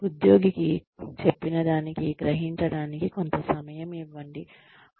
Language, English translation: Telugu, Give the employee, some time to absorb, what has been said